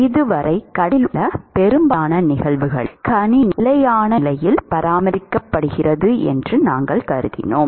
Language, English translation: Tamil, So far in most of the cases in conduction, we assumed that the system is maintained at a steady state